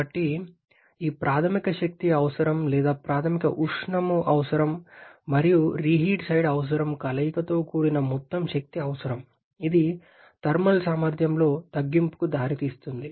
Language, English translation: Telugu, So, the total energy requirement which is the combination of this primary energy requirement or primary heat requirement and the reheat side requirement that is having an increase leading to reduction in the thermal efficiency as well